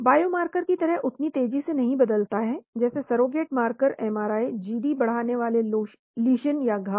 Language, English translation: Hindi, Does not change as fast as biomarker , surrogate marker MRI Gd enhancing lesions